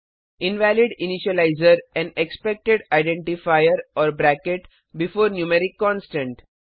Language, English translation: Hindi, We see an error Invalid initializer and Expected identifier or bracket before numeric constant